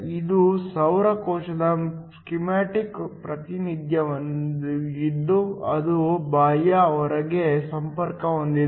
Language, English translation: Kannada, This is a schematic representation of a solar cell that is connected to an external load